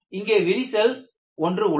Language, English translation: Tamil, There is another crack here